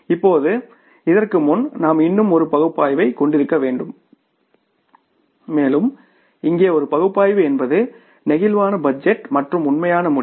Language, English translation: Tamil, And now before this we have to have the one more analysis and that more one more analysis here is that is the flexible budget and the actual results